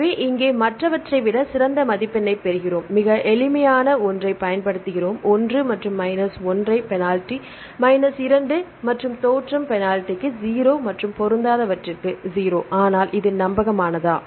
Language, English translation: Tamil, So, here we get the better score than the other ones here we use the very simple one putting the value of one and minus 1 for the penalty right minus 2 for the origination penalty and 0 for the mismatch, but is it reliable